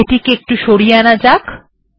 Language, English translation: Bengali, So let me bring it here